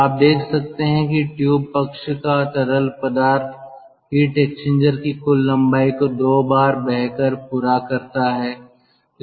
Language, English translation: Hindi, so you can see, the tube side fluid has tave traverse the total length of the heat exchanger two times, so it has got two passes